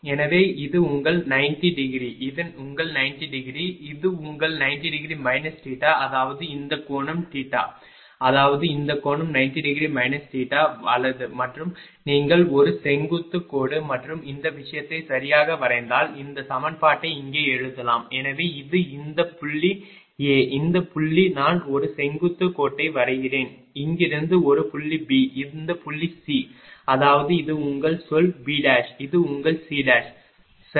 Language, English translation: Tamil, So, this is your ah 90 degree, this is your 90 degree, this is your 90 degree minus theta; that means, this angle is theta; that means, this angle is 90 degree minus theta right and if you draw a vertical line and this thing right and then then ah your ah let me write down here this equation so this is this point is A, this point is suppose I am drawing a vertical line from here this point is B, and this point is C; that means, this is your say B dash this is your C dash right